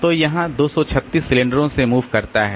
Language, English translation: Hindi, So, it has to move by 236 cylinders